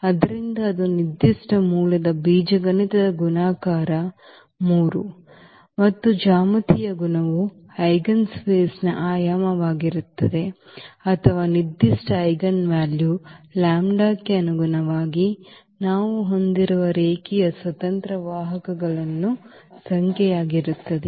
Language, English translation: Kannada, So, then it is algebraic multiplicity of that particular root is 3 and the geometric multiplicity will be the dimension of the eigenspace or the number of linearly independent vectors we have corresponding to that particular eigenvalue lambda